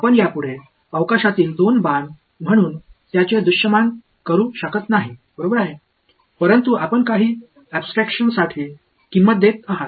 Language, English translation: Marathi, You can no longer visualize it as two arrows in space ok, but that is the price you are paying for some abstraction